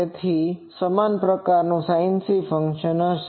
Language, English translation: Gujarati, So, it will be same that sinc type of function